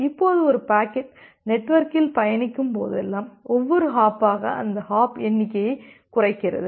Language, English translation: Tamil, Now, whenever a packet is being traversed over the network then every individual hop just reduces that hop count